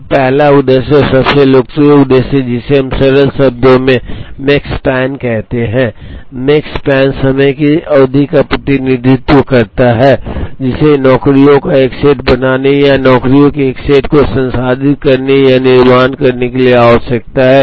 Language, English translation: Hindi, Now the first objective and the most popular objective that, we will be looking at is called Makespan in simple terms Makespan represents the span of time, that is required to make a set of jobs or to process or manufacture a set of jobs